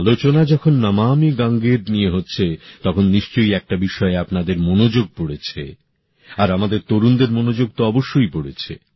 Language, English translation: Bengali, When Namami Gange is being referred to, one thing is certain to draw your attention…especially that of the youth